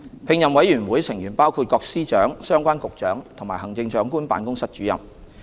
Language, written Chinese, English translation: Cantonese, 聘任委員會成員包括各司長、相關局長及行政長官辦公室主任。, The appointment committee comprises the Secretaries of Department the relevant Directors of Bureau and the Director of the Chief Executives Office